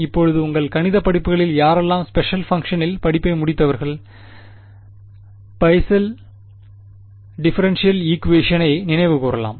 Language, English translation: Tamil, Now, those of you who have done course on special functions whatever in your math courses might recall what is called the Bessel differential equation